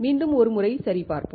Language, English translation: Tamil, Let us revise once again